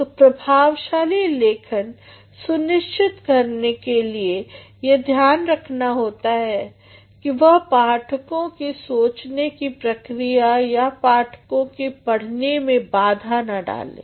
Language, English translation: Hindi, So, in order to ensure effective writing, it also has to see that it does not block the readers thought processes or readers reading